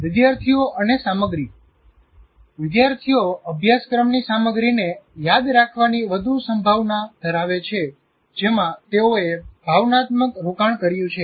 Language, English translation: Gujarati, And with regard to students and content, students are much more likely to remember curriculum content in which they have made an emotional investment